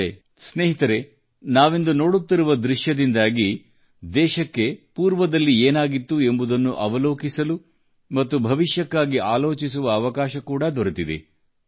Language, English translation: Kannada, But friends, the current scenario that we are witnessing is an eye opener to happenings in the past to the country; it is also an opportunity for scrutiny and lessons for the future